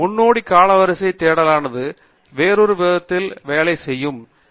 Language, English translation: Tamil, Forward chronological search is something that works in a different manner